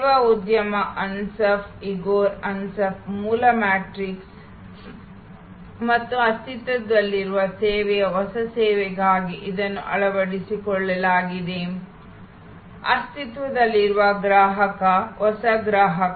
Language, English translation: Kannada, This is the adopted for the service industry Ansoff, Igor Ansoff original matrix and existing service new service; existing customer, new customer